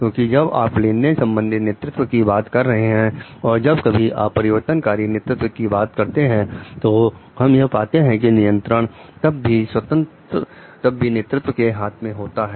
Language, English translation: Hindi, Because, when you are talking of transactional leadership whenever you are talking of transformational leadership what we find the control is still in the leader s hand